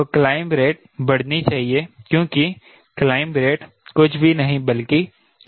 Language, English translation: Hindi, so rate of climb should increase, because the rate of climb is nothing but v sin gamma